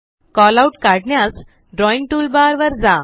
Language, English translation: Marathi, To draw a Callout, go to the Drawing toolbar